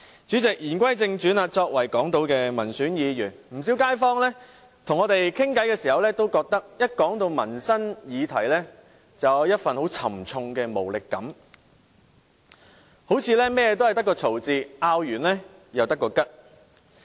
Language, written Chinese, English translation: Cantonese, 主席，言歸正傳，我是港島區的民選議員，不少街坊跟我們交談時都表示，一說到民生議題，就有一份很重的無力感，似乎凡事皆要爭拗一番，爭拗過後又沒有結果。, President let me return to the topic under discussion . I am an elected Member in the Hong Kong Island Constituency . When local residents talk to us they invariably say that whenever livelihood issues are discussed they will feel a strong sense of helplessness because it looks like every issue will inevitably lead to fruitless arguments